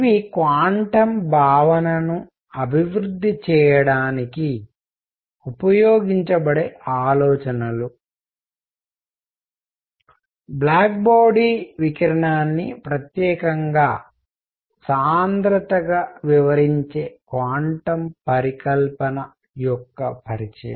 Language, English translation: Telugu, These are ideas that will be used then to develop the concept of quantum; introduction of quantum hypothesis explaining the black body radiation as specifically density